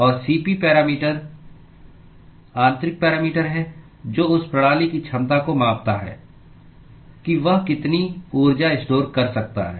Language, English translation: Hindi, And Cp is the parameter intrinsic parameter which quantifies that capability of that system as to how much heat that it can store